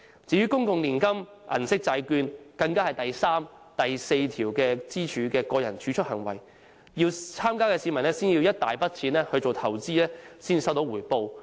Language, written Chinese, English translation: Cantonese, 至於公共年金、銀色債券，更是第三、第四根支柱的個人儲蓄行為，參加的市民要先有一大筆金錢投資才收到回報。, As for the public annuity scheme and the Silver Bond Series they involve individual saving activities which belong to the third and fourth pillars . People participating in those two schemes must have a large sum of money for investment in order to make a return